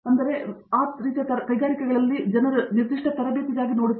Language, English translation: Kannada, So, especially in those kinds of industries people look for very specific training